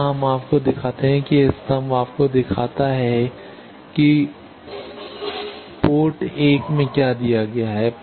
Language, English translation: Hindi, Let us see here you see that this column shows you what is given at port 1